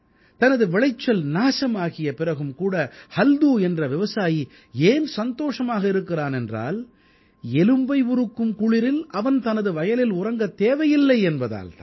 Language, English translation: Tamil, Halku the farmer is happy even after his crops are destroyed by frost, because now he will not be forced to sleep in his fields in the cold winter